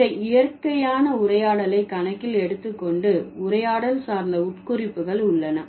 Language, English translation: Tamil, And taking into account this natural conversation, we have the conversational implicators